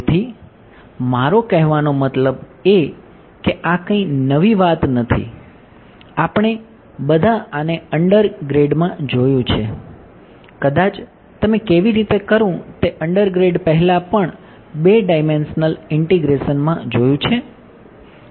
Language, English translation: Gujarati, So, I mean this is nothing new we have all seen this in undergrad maybe even before undergrad when you how do how to do 2 dimensional integration